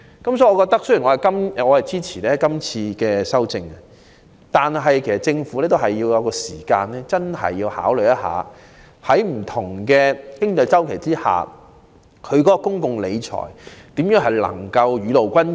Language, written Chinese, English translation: Cantonese, 我雖然支持今次提出的修正案，但卻認為政府要認真考慮如何在不同的經濟周期下，在公共理財方面做到雨露均霑。, I do support the amendments under discussion but I find it necessary for the Government to seriously consider how it can benefit everyone in terms of public finance under different economic cycles